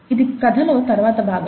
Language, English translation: Telugu, That is the next part of the story